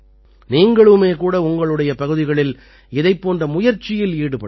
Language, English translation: Tamil, You too can make such efforts in your respective areas